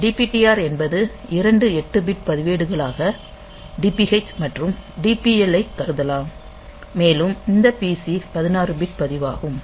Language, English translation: Tamil, So, DPTR has can be considered as 2 8 bit registers DPH and DPL and this PC is a 16 bit register